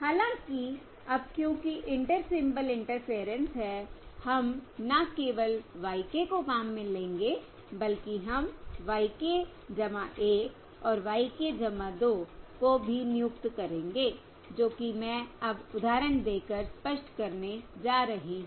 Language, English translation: Hindi, However, now, because there is Inter Symbol Interference, we will not only employ y k, but we will also employ y k plus 1 and y k plus 2, which is what I am going to illustrate now